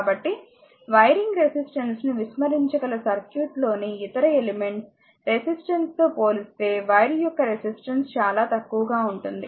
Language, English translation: Telugu, So, the resistance of the wire is so small compared to the resistance of the other elements in the circuit that we can neglect the wiring resistance